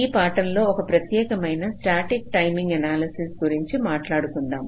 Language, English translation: Telugu, so in the last lecture we have been talking about static timing analysis